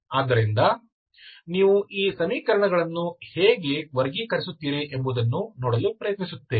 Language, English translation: Kannada, So we will try to see how do you classify these equations